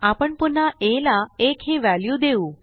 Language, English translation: Marathi, We now again assign the value of 1 to a